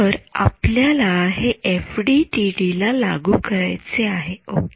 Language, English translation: Marathi, So, we want to impose this in FDTD ok